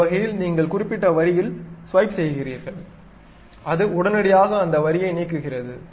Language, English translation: Tamil, In that sense, you just swipe on particular line; it just immediately removes that line